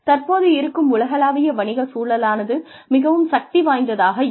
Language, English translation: Tamil, The current global business environment is so dynamic